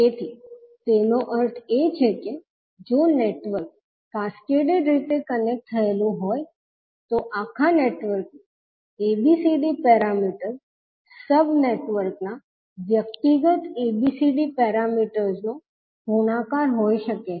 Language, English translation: Gujarati, So, that means that if the network is connected in cascaded fashion, the ABCD parameter of overall network can be V multiplication of individual ABCD parameters of the sub networks